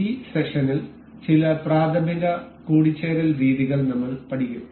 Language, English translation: Malayalam, We will learn some elementary mating methods in this session